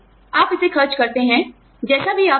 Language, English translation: Hindi, You spend it, anyway you want